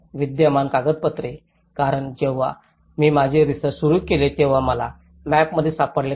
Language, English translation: Marathi, Documentation of existing, because when I started my research I couldnÃt find in the map